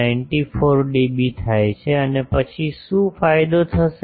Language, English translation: Gujarati, 94 dB and then what will be the gain